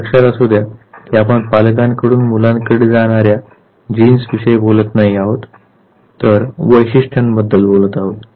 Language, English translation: Marathi, Remember we are not talking about the passage of genes from parents to children rather we are talking about the trait